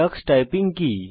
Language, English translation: Bengali, What is Tux Typing